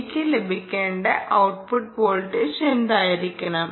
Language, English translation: Malayalam, what should be the output voltage that i should get